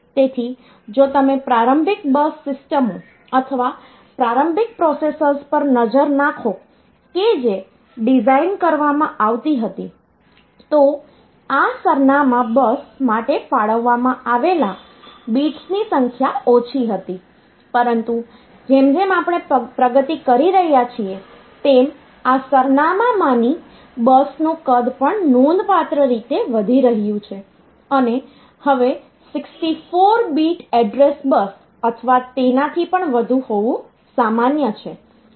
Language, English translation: Gujarati, So, if you look into the initial bus systems or initial processors that were designed the number of bits allocated for this address bus was less, but as we are progressing so the size of this address bus is also increasing significantly and now a days it is common to have 64 bit address bus or even higher than that